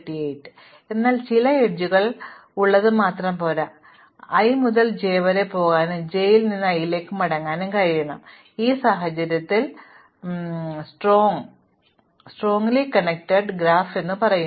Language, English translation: Malayalam, So, it is not enough to just have edges in some haphazard direction I must be able to go from i to j and come back from j to i in which case I say that it is strongly connected